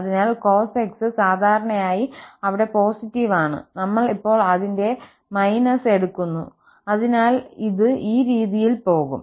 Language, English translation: Malayalam, So, the cos x is usually positive there and we are taking now the minus of it, so it will go in this way